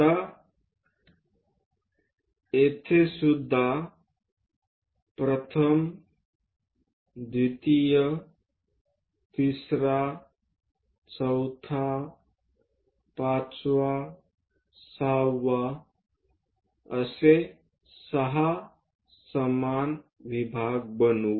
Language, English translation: Marathi, Now, here also first, second, third, fourth, fifth, sixth, six equal divisions let us construct it